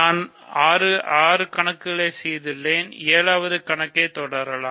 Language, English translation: Tamil, So, we have done 6 problems, let us continue with 7th problem ok